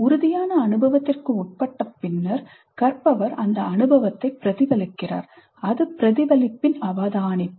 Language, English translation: Tamil, Having undergone the concrete experience, the learner reflects on that experience, reflective observation